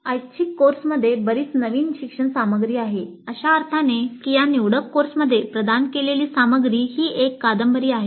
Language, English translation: Marathi, The elective course has substantially new learning material in the sense that the material provided in this elective course is something novel